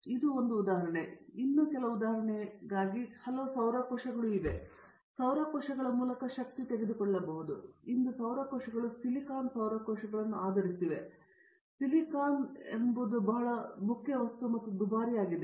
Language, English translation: Kannada, This is one of the examples, there are many, many materials even for example, you take through solar cells, solar cells today is based upon silicon solar cells, but silicon being a very important material and also costly